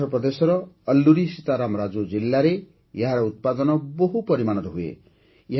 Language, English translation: Odia, Araku coffee is produced in large quantities in Alluri Sita Rama Raju district of Andhra Pradesh